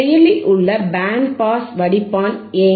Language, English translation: Tamil, Why active band pass filter